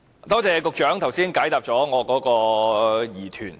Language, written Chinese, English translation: Cantonese, 多謝局長剛才解答了我的疑團。, I thank the Secretary for clearing my doubts just now